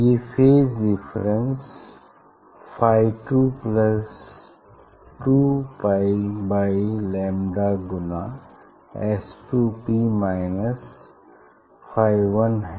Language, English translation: Hindi, these phase difference phi is phi 2 plus 2 pi by lambda S 2 P minus phi 1